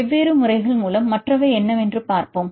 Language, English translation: Tamil, Let us see what are other by different methods